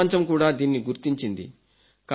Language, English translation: Telugu, The world has accepted this